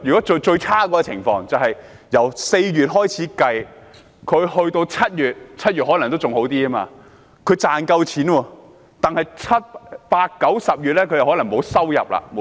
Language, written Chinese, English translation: Cantonese, 最差的情況是，他們可能在4月至7月 ——7 月情況可能還好一點——能賺到錢，但7月至10月沒有收入。, In the worst - case scenario they might still be able to earn a living from April through July―and things might go better in July―but might not have any income from July through October